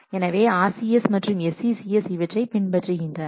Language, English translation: Tamil, So, RCCS and the SCSCS do or follow this approach